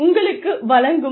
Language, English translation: Tamil, What do you get